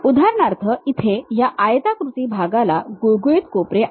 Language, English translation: Marathi, For example, here that rectangular portion we have a smooth corners